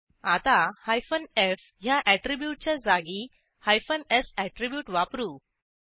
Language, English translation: Marathi, Let us replace f attrib with s attribute